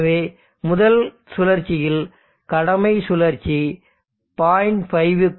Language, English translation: Tamil, So when the duty cycle is greater than point 0